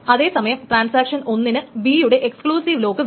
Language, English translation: Malayalam, So transaction 1 wants an exclusive lock